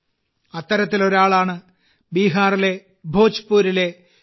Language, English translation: Malayalam, One such person is Bhim Singh Bhavesh ji of Bhojpur in Bihar